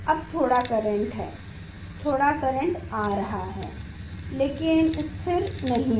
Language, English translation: Hindi, Now, slightly current is coming; slightly current is coming, but not stable